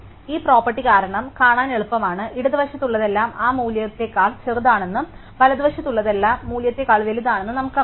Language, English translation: Malayalam, So, it easy to see the because of this property, we know that everything to the left is smaller than that value and everything to the right is bigger than the value